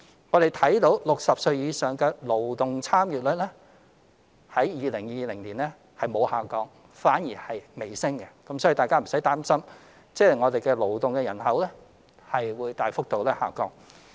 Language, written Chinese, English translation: Cantonese, 我們看到60歲或以上的勞動人口參與率於2020年沒有下降，反而微升，所以大家無需擔心勞動人口大幅下降。, We can see that the labour force participation rate of people aged 60 or above did not decline but rose slightly instead in 2020 so there is no need to worry about a sharp decline of the working population